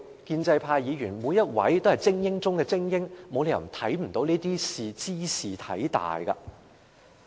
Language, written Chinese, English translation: Cantonese, 建制派每位議員都是精英中的精英，沒有理由看不出茲事體大。, All pro - establishment Members are the cream of the crop; there is no reason why they do not know that this is a serious matter indeed